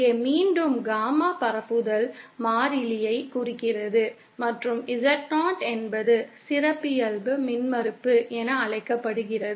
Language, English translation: Tamil, Here once again Gamma represents the propagation constant and Z0 is what is known as the characteristic impedance